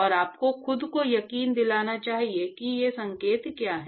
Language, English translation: Hindi, And you must convince yourself what these signs are